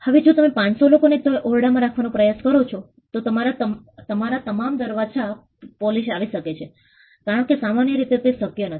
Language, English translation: Gujarati, Now, if you try to put the 500 people into that room they could be police at your doorsteps because that is simply not possible